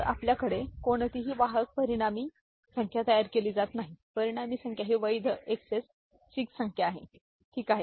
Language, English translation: Marathi, So, we no carry is produced the resulting number, resulting number is a valid XS 6 number, ok